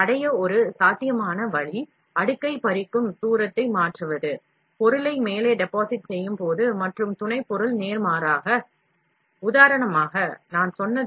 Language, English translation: Tamil, One possible way to achieve this, may be to change the layer separation distance, when depositing the material on top, and supporting material, vice versa